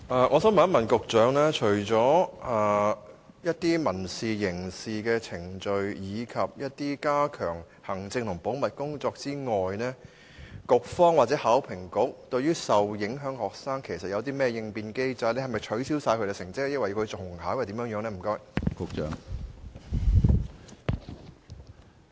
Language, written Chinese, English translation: Cantonese, 我想請問局長，除了民事、刑事程序，以及加強行政和保密工作外，局方或考評局對於受影響學生有甚麼應變機制，是否取消他們所有成績，要求他們重考，還是有其他措施？, May I ask the Secretary apart from civil and criminal procedures as well as enhanced administrative and confidentiality work what contingency mechanisms will the Bureau and HKEAA adopt to handle students who are affected? . Will all their results be disqualified will they be required to resit the examination or will other measures be taken?